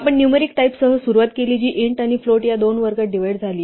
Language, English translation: Marathi, You began with the numeric types, which divided into two categories int and float